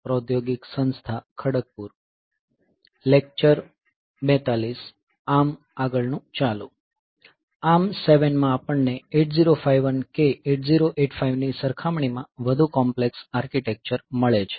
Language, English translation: Gujarati, So, in ARM7 we have got a much more complex architecture compared to say 8051 or 8085